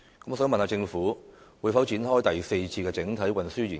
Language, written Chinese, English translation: Cantonese, 我想問，政府會否展開第四次整體運輸研究？, May I ask whether the Government will initiate a fourth comprehensive transportation study?